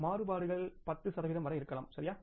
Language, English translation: Tamil, We say that if the variances are up to 10 percent, right